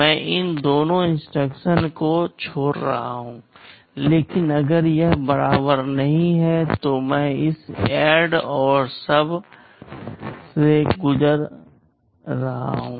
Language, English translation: Hindi, I am skipping these two instructions, but if it is not equal then I am going through this ADD and SUB